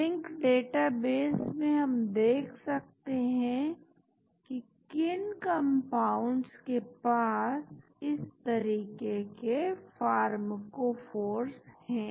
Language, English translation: Hindi, we can look at which compounds in the Zinc database has these type of pharmacophores